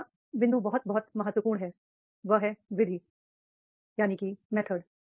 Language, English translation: Hindi, Third point is very very important, that is a method